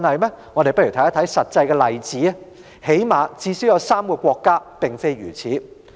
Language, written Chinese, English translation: Cantonese, 一些實際例子說明，最少有3個國家的做法不一樣。, There are some practical examples indicating that at least three countries have different practices